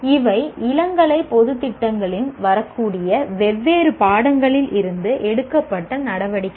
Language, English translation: Tamil, These are activities that are taken from different subjects that one is likely to come across in undergraduate general programs